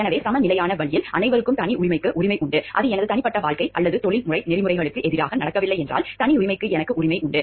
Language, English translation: Tamil, So, in a balanced way everyone has a right to privacy, and if it is not something my personal life if it is not going against or the professional ethics, then I do have to right to privacy